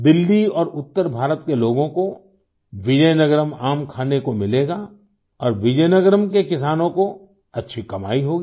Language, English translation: Hindi, The people of Delhi and North India will get to eat Vizianagaram mangoes, and the farmers of Vizianagaram will earn well